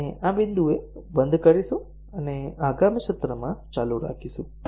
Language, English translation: Gujarati, We will stop at this point, and continue in the next session